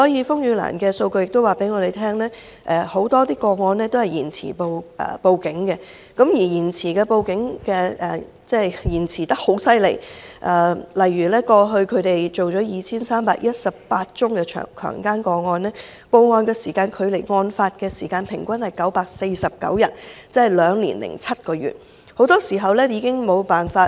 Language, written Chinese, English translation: Cantonese, 風雨蘭的數據亦告訴我們，很多個案屬於延遲報案，而延遲報案的情況非常嚴重，例如他們過去處理了 2,318 宗的強姦個案，報案時間距離案發時間平均是949天，即兩年零七個月，很多時候法醫已無法取證。, As informed by the statistics of RainLily many cases are cases of delayed reports and such situation is desperate . For example among the 2 318 cases of rape they handled in the past the average lapse of time between the occurrence of a case and the report of it is 949 days ie . two years and seven months and on many occasions it is impossible for the forensic pathologist to collect any evidence then